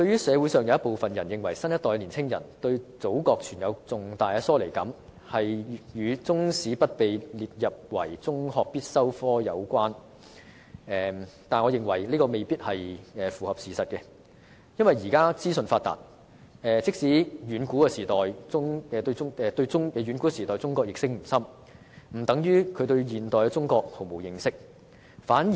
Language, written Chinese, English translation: Cantonese, 社會上有部分人士認為，新一代的年輕人對祖國存有重大疏離感，與中史不被列為中學必修科有關，但我認為這未必符合事實，因為現時資訊發達，即使他們對遠古時代的中國認識不深，並不等於他們對現代中國毫無認識。, Some members of the community believe that the younger generations profound sense of alienation from the Motherland is to do with Chinese History not being a compulsory subject in secondary school but as I see it this may not be true because given the information boom in todays society even if they do not have a deep knowledge of ancient China it does not mean that they know nothing about modern China